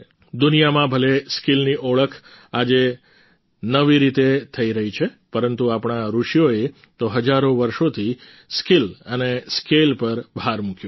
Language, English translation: Gujarati, Even though skill is being recognized in a new way in the world today, our sages and seers have emphasized on skill and scale for thousands of years